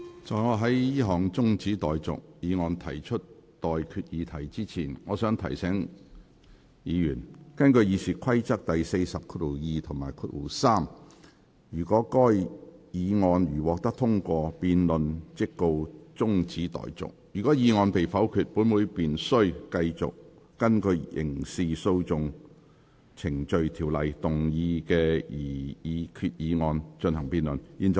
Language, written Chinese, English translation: Cantonese, 在我就這項中止待續議案提出待決議題之前，我想提醒議員，根據《議事規則》第402及3條，該議案如獲得通過，辯論即告中止待續；如議案被否決，本會便須繼續就根據《刑事訴訟程序條例》動議的擬議決議案進行辯論。, Before I put the question on this adjournment motion I wish to remind Members that in accordance with Rule 402 and 3 of the Rules of Procedure if the motion is agreed to the debate shall stand adjourned; if the motion is negatived this Council shall continue with the debate on the proposed resolution under the Criminal Procedure Ordinance